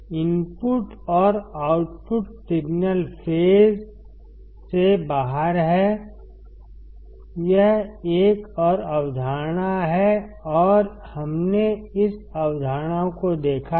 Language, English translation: Hindi, Input and output signals are out of phase; this is another concept and we have seen this concept